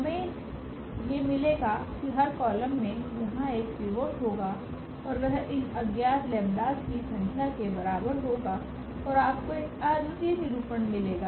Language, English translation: Hindi, So, we will get these every column will have a pivot here and that will be equal to the number of these unknowns the number of lambdas in that case and you will get a unique representation